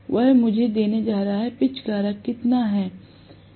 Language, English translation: Hindi, That is going to give me how much is the pitch factor